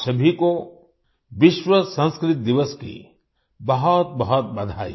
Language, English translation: Hindi, Many felicitations to all of you on World Sanskrit Day